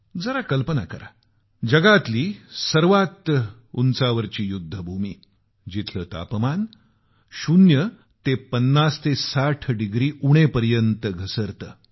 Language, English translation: Marathi, Just imagine the highest battlefield in the world, where the temperature drops from zero to 5060 degrees minus